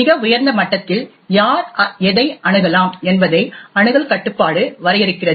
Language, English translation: Tamil, At a very high level, access control defines who can access what